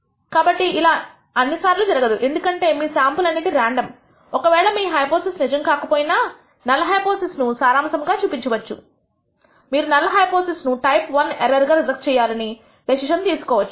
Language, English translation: Telugu, So, this will not happen all the time because your sample is random it is possible that even if you are not high passes is true, you may conclude that the null hypothesis you may decide to reject the null hypothesis in which you commit a type I error what we call a type I error or a false alarm